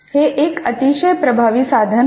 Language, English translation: Marathi, This can be very powerful